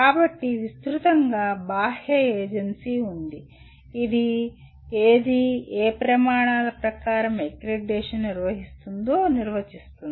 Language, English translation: Telugu, So, broadly there is an external agency which defines what is the, what are the criteria according to which the accreditation is performed